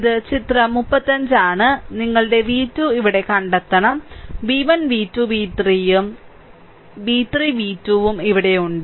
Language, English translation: Malayalam, So, this is the 35 figure, you have to find out v 1 your v 2 here, I have asking v 1, v 2, v 3 and I, v 3, v 2 is here